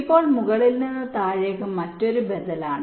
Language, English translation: Malayalam, now top down is the other alternative